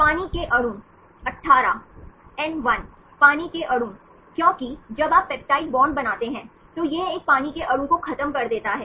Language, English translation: Hindi, The water molecules, 18 water molecules, because when you form peptide bonds, it’s elimination of one water molecule